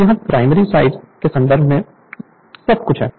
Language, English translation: Hindi, So, everything your in terms of primary side